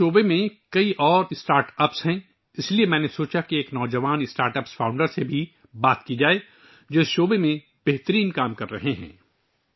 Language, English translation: Urdu, There are many other startups in this sector, so I thought of discussing it with a young startup founder who is doing excellent work in this field